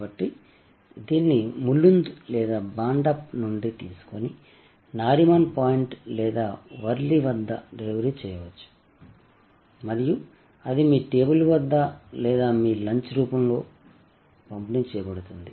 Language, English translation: Telugu, So, it might be picked up from Mulund or Bhandup and delivered at Nariman point or Worli and it is delivered right at your table or in your lunch room and flawlessly